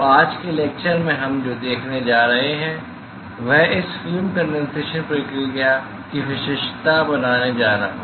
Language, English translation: Hindi, So, what we are going to see in today's lecture is going to characterize this film condensation process